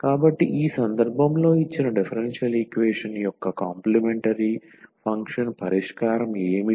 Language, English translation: Telugu, So, in this case what will be the solution the complementary function of the given differential equation